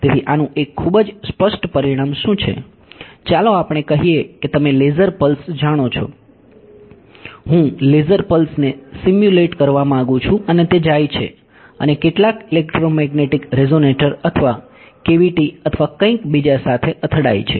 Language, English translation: Gujarati, So, what is sort of one very obvious consequence of this is think of let say you know laser pulse I want to simulate a laser pulse and it goes and hits some electromagnetic resonator or cavity or something ok